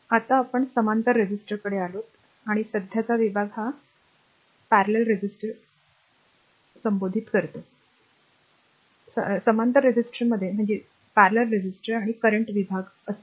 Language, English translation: Marathi, Now, we come to the parallel resistor, and the current division, that was series resistor and voltage division, and for in parallel resistor, it will be parallel resistors and current division, right